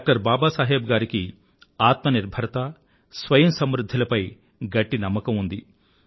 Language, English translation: Telugu, Baba Saheb had strong faith in selfreliance